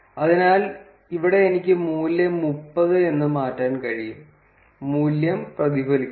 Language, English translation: Malayalam, So, here I can change the value to be say 30 and the value gets reflected